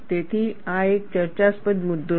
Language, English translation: Gujarati, So, this is a debatable point